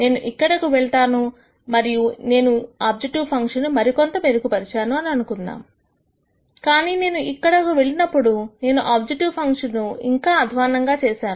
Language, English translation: Telugu, So, for example, if I go here I have made some improvement to my objective function let us say if I go here I have made much more improvement to my objective function, but let us say if I go here I have actually made my objective function worse